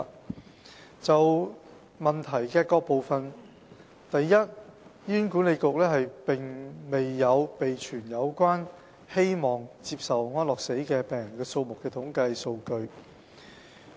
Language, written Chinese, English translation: Cantonese, 我現就主體質詢各部分答覆如下：一醫院管理局並沒有備存有關希望接受安樂死的病人數目的統計數據。, My reply to the various parts of the main question is as follows 1 The Hospital Authority HA does not compile statistics on the number of patients wishing for euthanasia